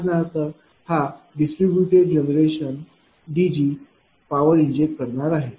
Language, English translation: Marathi, For example, this is a distributed generation D G the power being injected